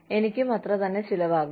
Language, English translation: Malayalam, It will cost me the same